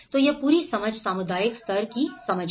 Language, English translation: Hindi, So, this whole understanding the community level understanding